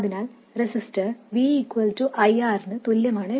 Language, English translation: Malayalam, So a resistor follows v equals IR